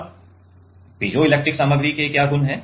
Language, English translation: Hindi, Now, what is the property of piezoelectric material